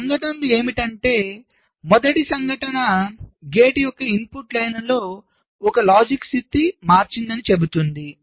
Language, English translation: Telugu, the first event says that one of the input lines of the gate has changed its logic state